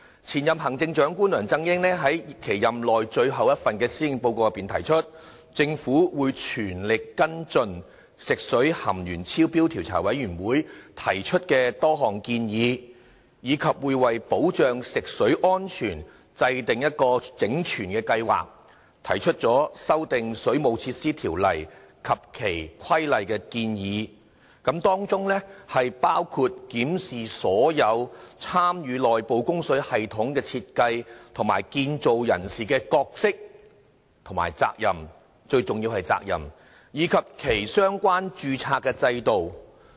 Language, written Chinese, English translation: Cantonese, 前行政長官梁振英在其任內最後一份施政報告內提出，政府會全力跟進食水含鉛超標調查委員會提出的多項建議，以及為保障食水安全制訂整全計劃，提出修訂《水務設施條例》及其規例的建議，當中包括檢視所有參與內部供水系統的設計和建造人士的角色和責任——最重要的是責任，以及其相關註冊的制度。, Former Chief Executive LEUNG Chun - ying said in his last Policy Address that the Government would follow up the recommendations of the Commission of Inquiry into Excess Lead Found in Drinking Water and formulate a holistic plan to safeguard drinking water quality . It would propose amendments to the Waterworks Ordinance and its Regulations involving a review of the roles and more importantly the responsibilities of all persons engaged in the design and construction of the inside service and the systems for their registration